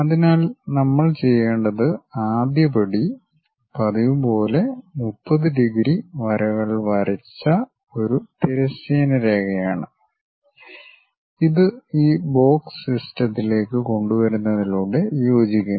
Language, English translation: Malayalam, So, the first step what we have to do is as usual, a horizontal line draw 30 degrees lines, that coincides by bringing this box into the system